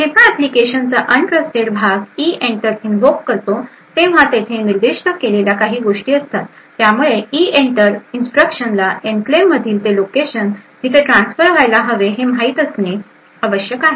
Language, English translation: Marathi, When the untrusted part of the application invokes EENTER there certain things which are to be specified, so the EENTER instruction needs to know the location within the enclave where the transfer should be done